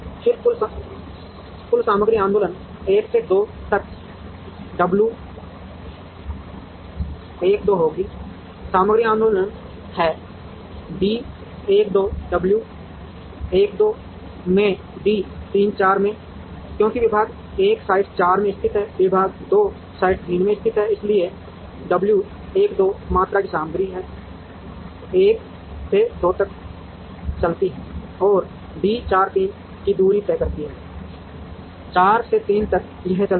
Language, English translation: Hindi, Then the total material movement will be W 1 2 from 1 to 2, there is a material movement, into d 1 2 w 1 2 into d 3 4, because department 1 is located in site 4 department 2 is located in site 3, so w 1 2 amount of material moves from 1 to 2 and moves a distance of d 4 3, from 4 to 3 it moves